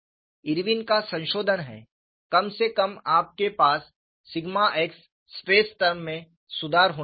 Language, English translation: Hindi, The Irwin’s modification is at least, you should have a correction to sigma x stress term